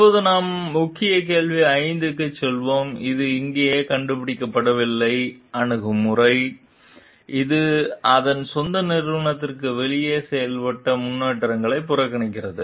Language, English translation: Tamil, Now, we will move on to the key question 5 which talks of like on the one hand, it is not invented here attitude, which disregards advances made outside of its own organization